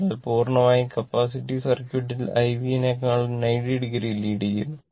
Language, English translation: Malayalam, So, in purely capacitive circuit, the current leads the voltage by 90 degree